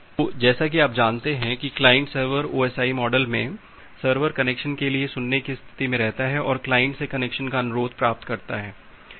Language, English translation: Hindi, So, the client as you know that in a client server OSI model, the server remains in the listen state for getting a connection, getting a connection request from a client